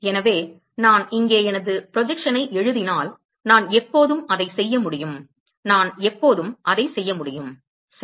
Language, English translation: Tamil, So, if I write my projection here, I can always do that right, I can always do that